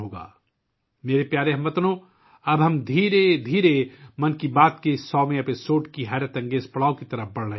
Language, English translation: Urdu, My dear countrymen, now we are slowly moving towards the unprecedented milestone of the 100th episode of 'Mann Ki Baat'